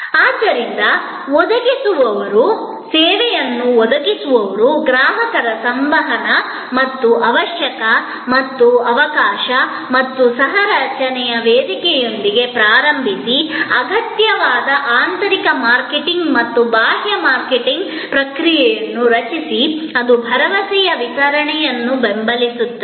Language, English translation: Kannada, And therefore start with the provider customer interaction and opportunity and the platform for co creation and create necessary internal marketing and external marketing process that support ably that delivery of the promise